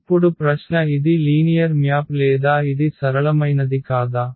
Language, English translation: Telugu, Now the question is whether this is linear map or it is not a linear map